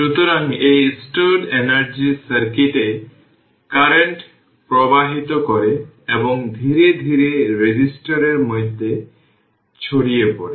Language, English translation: Bengali, So, this stored energy causes the current to flow in the circuit and gradually dissipated in the resistor